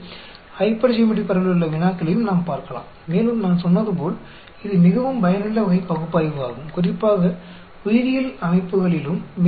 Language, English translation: Tamil, So, we can also look at problems in hypergeometric distribution and as I said, it is very useful type of analysis to carry out, especially in biological systems also